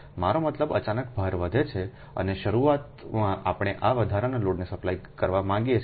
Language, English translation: Gujarati, right, i mean load suddenly increases and initially we want to, and immediately we want to, supply this additional load